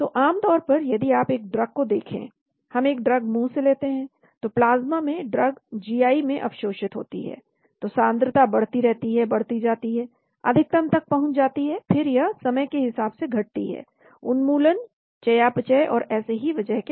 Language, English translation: Hindi, So generally, if you look at a drug, we take an oral drug , so in the plasma, the drug gets absorbed in the gi, so the concentration keeps increasing, increasing, increasing reaches a maximum , then it starts decreasing, decreasing because of elimination, metabolism, so many factors as a function of time